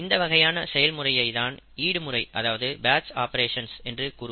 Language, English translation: Tamil, In such an operation, rather such an operation is called a batch operation